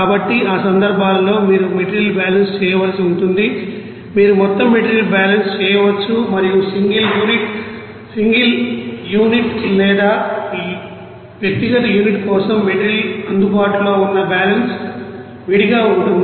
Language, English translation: Telugu, So, for those cases you have to you know do the material balance, you can do overall material balance and also you can do the material available balance for single unit or individual unit is separately